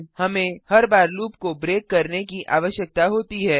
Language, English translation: Hindi, We need to break the loop each time